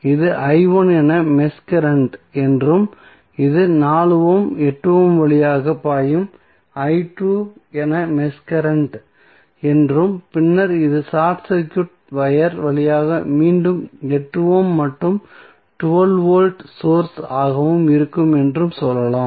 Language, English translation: Tamil, Let us say this is the mesh current as i 1 and this is mesh current as i 2 which is flowing through 4 ohm, 8 ohm and then this through short circuit wire then again 8 ohm and 12 volt source